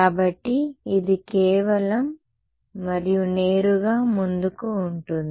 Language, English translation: Telugu, So, it is just and it is straight forward